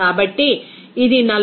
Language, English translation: Telugu, So, it will be coming as 45